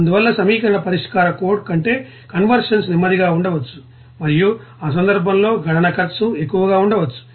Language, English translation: Telugu, Hence convergence may be slower than in an equation solving code and the computational cost maybe high in that case